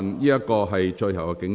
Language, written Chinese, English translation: Cantonese, 這是最後警告。, This is my final warning